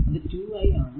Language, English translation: Malayalam, So, it will be 2 into i